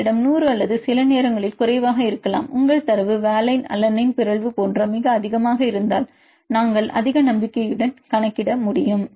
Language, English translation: Tamil, Some case we have we have 100 sometime may be less, if your say data are very high like the valine to alanine mutation then we can predict with high confidence